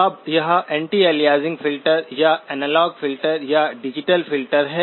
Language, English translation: Hindi, Now is it anti aliasing filter or analog filter or digital filter